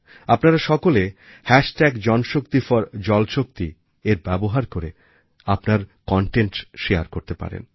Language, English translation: Bengali, You can all share your content using the JanShakti4JalShakti hashtag